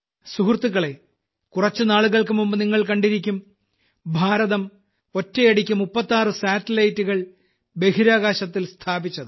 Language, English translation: Malayalam, Friends, you must have seen a few days ago, that India has placed 36 satellites in space simultaneously